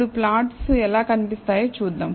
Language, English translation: Telugu, Now, let us see how the plot looks